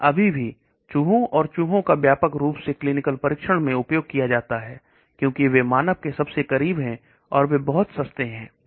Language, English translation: Hindi, But still rats and mice are used widely in preclinical trials, because they are the closest to human, and they are much cheaper okay